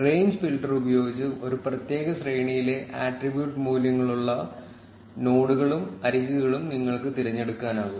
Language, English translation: Malayalam, With the range filter, you can select nodes and edges with attribute values in a particular range